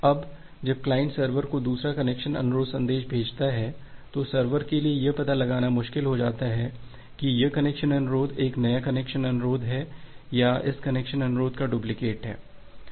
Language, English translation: Hindi, Now, when the client sends the second connection request message to the server, it becomes difficult for the server to find out whether this connection request it is a new connection request or it is a duplicate of this connection request